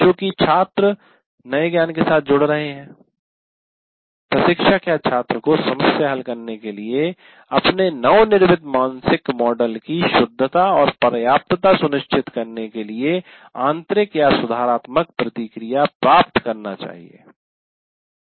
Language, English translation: Hindi, And while the students are getting engaged with the new knowledge, the instructor or the student should receive either intrinsic or corrective feedback to ensure correctness and adequacy of their newly constructed mental model for solving the problem